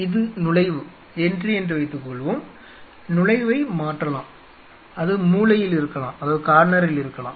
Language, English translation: Tamil, Suppose this is the entry the entry can change it could be in the corner